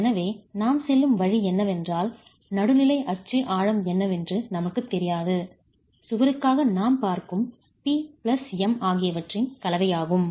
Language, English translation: Tamil, So, the way we go about is we really don't know what the neutral axis depth is for the combination of the combination of the P plus M that we are looking at for the wall considered